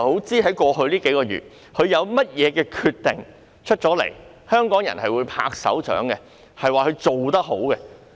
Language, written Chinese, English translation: Cantonese, 她在過去數月有甚麼決定，是香港人會拍掌說她做得好的？, Over the past few months has she made any decision that Hong Kong people will give a big round of applause?